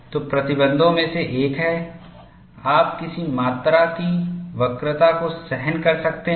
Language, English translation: Hindi, So, one of the restrictions is, what amount of curvature can you tolerate